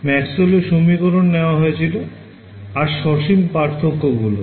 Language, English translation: Bengali, We took Maxwell’s equations and then and did finite differences right so, finite